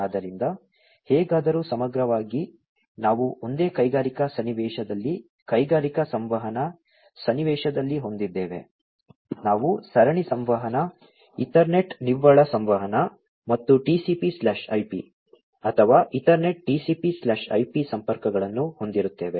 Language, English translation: Kannada, So, anyway so, holistically we will have in a single industrial scenario industrial communication scenario, we will have serial communication, Ethernet net communication, and TCP/IP, or rather Ethernet TCP/IP connections